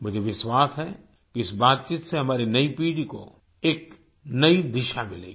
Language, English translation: Hindi, I am sure that this conversation will give a new direction to our new generation